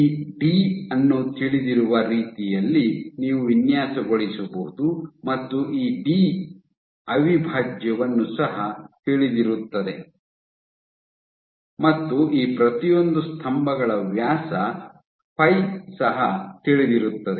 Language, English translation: Kannada, So, you can design in such a way this d is known this d prime is also known, and the diameter of each of these pillars phi is known ok